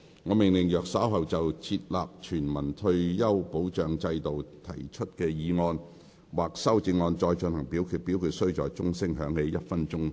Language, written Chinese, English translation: Cantonese, 我命令若稍後就"設立全民退休保障制度"所提出的議案或修正案再進行點名表決，表決須在鐘聲響起1分鐘後進行。, I order that in the event of further divisions being claimed in respect of the motion on Establishing a universal retirement protection system or any amendments thereto this Council do proceed to each of such divisions immediately after the division bell has been rung for one minute